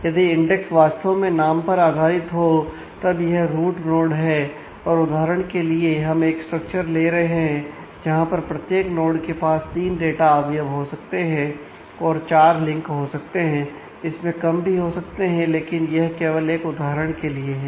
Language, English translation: Hindi, So, this is the root node that you have and for an instance; we are taking a structure where every node can have 3 data items and 4 links and it could be it could be more it could be less, but this is just for an example